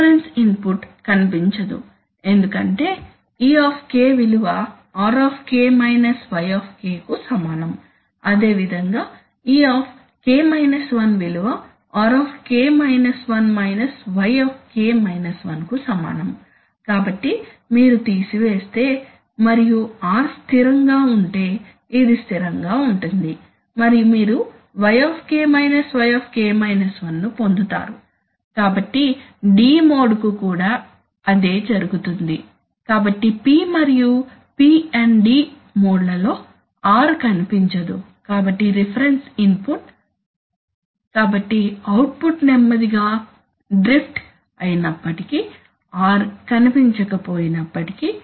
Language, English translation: Telugu, There is no that is the that is the reference input does not appear because e is equal to r minus y, similarly e is equal to r minus y, so if you subtract and if r is remaining constant then this will get constant and you will simply get y minus y, so, and the same thing happens to the D mode, so the P, and in the P&D modes, r does not appear, so the reference input, so even if the in, you know, even if the output drift slowly, even if because r does not appear